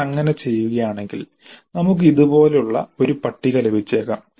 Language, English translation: Malayalam, So if you do that then we may get a table like this